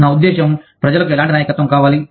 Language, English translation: Telugu, I mean, what kind of leadership, to people want